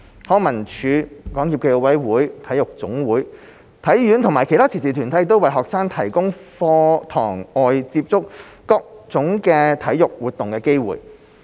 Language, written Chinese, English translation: Cantonese, 康文署、港協暨奧委會、體育總會、體院及其他慈善團體為學生提供在課堂外接觸各種體育活動的機會。, LCSD SFOC NSAs HKSI and other charitable organizations provide students with opportunities to enhance their exposure to different sports beyond the classroom